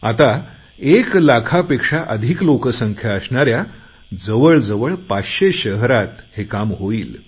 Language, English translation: Marathi, Now, this survey will be conducted in about 500 cities with a population of more than 1 lakh